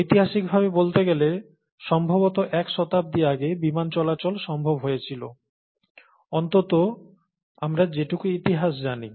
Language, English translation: Bengali, You know, historically speaking, probably a century ago, airplanes became possible, atleast according to the history that we know